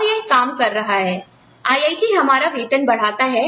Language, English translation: Hindi, IIT raises our salary